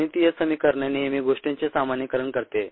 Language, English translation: Marathi, mathematical expression always generalizes things